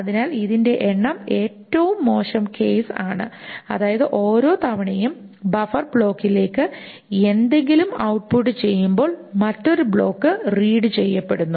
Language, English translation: Malayalam, So the number of, the worst case is that every time something is output to the buffer block, the another block is being read